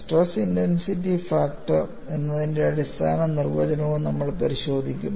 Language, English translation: Malayalam, We have looked at the definition of a stress intensity factor